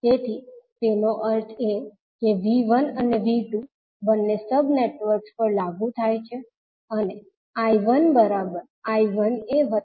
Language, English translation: Gujarati, So that means that V 1 and V 2 is applied to both of the sub networks and I 1 is nothing but I 1a plus I 1b